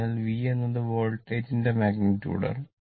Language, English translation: Malayalam, So, V is the magnitude, sorry V is the magnitude of the voltage